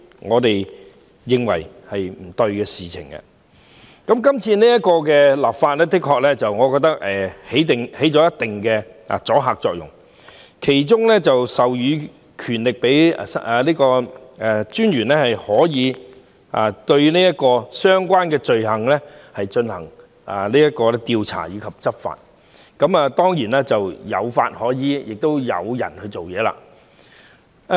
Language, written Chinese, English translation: Cantonese, 我認為是次立法可發揮一定阻嚇作用，因當中將會授權個人資料私隱專員就相關罪行進行調查及執法，亦即除了有法可依，亦有人員專責處理。, I think that the current legislative will have certain deterrent effect because the Privacy Commissioner for Personal Data will be empowered to investigate into and take enforcement actions against the offences prescribed meaning that apart from enacting a piece of regulatory legislation a public officer will also be designated for its enforcement